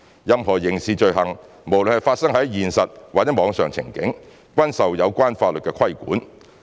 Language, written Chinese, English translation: Cantonese, 任何刑事罪行，無論是發生在現實或網上情景，均受有關法律規管。, Any criminal offences are regulated by the relevant laws regardless of whether they were committed in real life or online